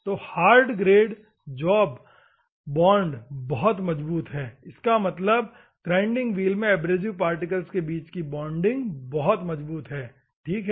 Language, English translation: Hindi, So, hard grade when the bond post very strong; that means, the bonding between bonding of the abrasive particle in the grinding wheel is very strong, ok